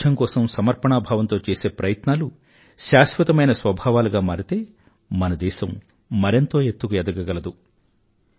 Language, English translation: Telugu, If this committed effort towards cleanliness become inherent to us, our country will certainly take our nation to greater heights